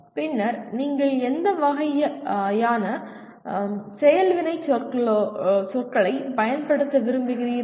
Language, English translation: Tamil, And then what kind of action verbs do you want to use